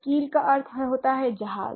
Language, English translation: Hindi, So keel, it means ship, right